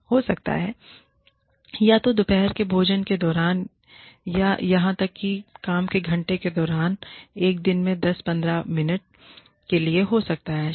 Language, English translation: Hindi, May be, either during lunchtime, or even, during work hours, for maybe, 10, 15 minutes in a day